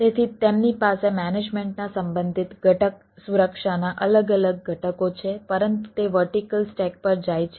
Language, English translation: Gujarati, so they have different component of security, relevant component of management, but these goes on the vertical stack